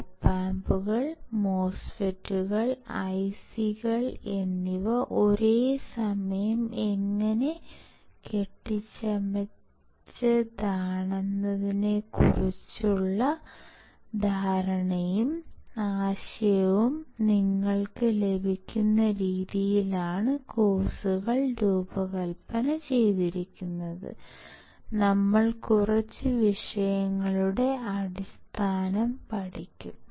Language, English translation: Malayalam, The courses are designed in such a way that, you get the understanding and the idea of how the Op Amps the MOSFETs and IC s are fabricated at the same time, we will touch the base of few of the topics